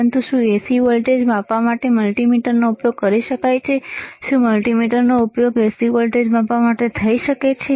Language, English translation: Gujarati, But can multimeter be used to measure the AC voltage; can a multimeter, can be used to measure AC voltage